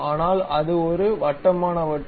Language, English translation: Tamil, But it is a circular disc